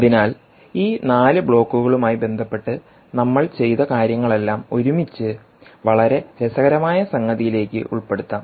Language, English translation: Malayalam, so let's put all of what we did with respect to those four blocks into something very, very interesting